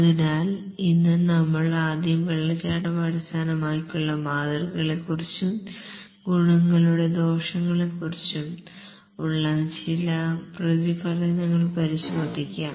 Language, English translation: Malayalam, So, today we'll first look at some reflections on the waterfall based model, some advantages, disadvantages, etc